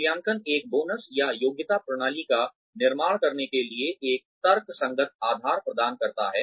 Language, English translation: Hindi, Appraisal provides a rational basis for, constructing a bonus or merit system